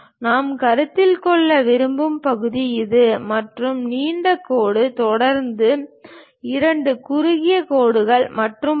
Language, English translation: Tamil, And the section we would like to really consider is this one, and long dash followed by two short dashes and so on